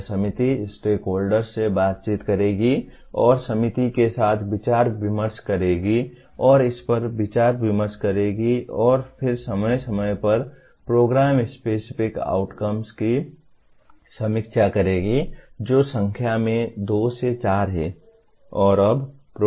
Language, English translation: Hindi, This committee will, the stakeholders interact and brainstorms with the committee will interact and brainstorms with this and then decides and periodically reviews Program Specific Outcomes which are two to four in number